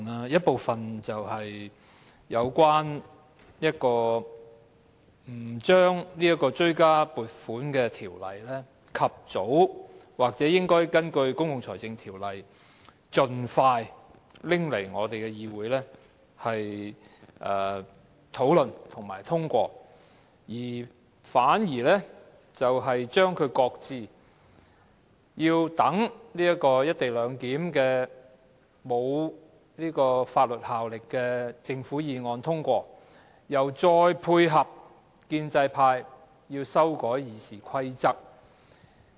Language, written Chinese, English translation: Cantonese, 一部分是有關政府不將《追加撥款條例草案》及早根據《公共財政條例》盡快提交立法會討論和通過，反而將《條例草案》擱置，先讓政府就"一地兩檢"提出的無法律效力的議案通過，又再配合建制派修改《議事規則》。, One is about the Government failing to introduce the Supplementary Appropriation 2016 - 2017 Bill the Bill for discussion and passage by the Legislative Council under the Public Finance Ordinance as early as possible but shelving the Bill instead to enable the passage of the Governments non - binding motion on the co - location arrangement and then provide support to the pro - establishment camp in the amendment of the Rules of Procedure RoP